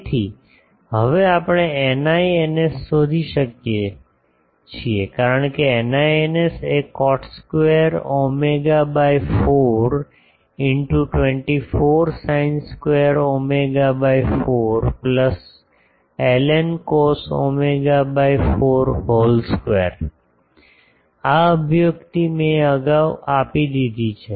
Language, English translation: Gujarati, So, now we can find out eta i eta s because eta i eta s is cot square psi by 4 24 sin square psi by 4 plus l n cos psi by 4 whole square; this expression I have already given earlier